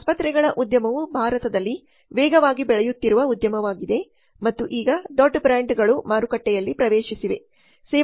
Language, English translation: Kannada, So the hospital industry is a fast growing industry in India and now big brands have entered into the market